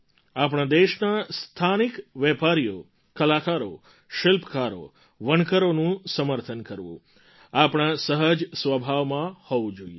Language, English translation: Gujarati, Supporting local entrepreneurs, artists, craftsmen, weavers should come naturally to us